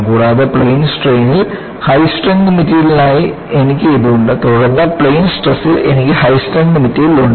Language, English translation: Malayalam, And, I have this for high strengths material in plane strain, then I have high strength material in plane stress